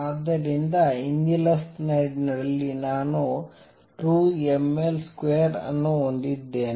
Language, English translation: Kannada, So, the earlier slide, I had in 2 m L square